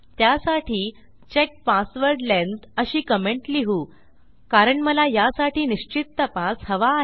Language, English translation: Marathi, Now I have decided to do this check password length because I want a specific check for this